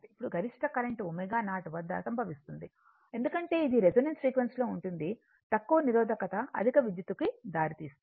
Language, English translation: Telugu, Now, maximum current occurs at omega 0 because, that is at resonance frequency right, a low resistance results in a higher current